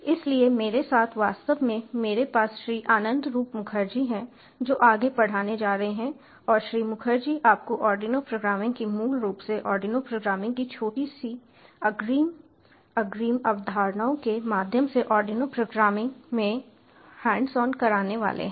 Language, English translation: Hindi, so, with me, actually, ah, i have, ah, mister anandroop mukharjee, who is going take over, and ah, mister mukharjee is going to take you through the hands on of ah, ah, arduino programming, through the from the starting, from the basics to the little bit, modularitly advance concepts of arduino programming